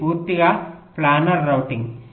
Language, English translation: Telugu, it is a purely planar routing